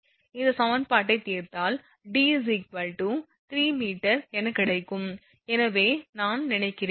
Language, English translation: Tamil, If you solve this equation it will give you D is equal to I think exactly 3 meter it will give you if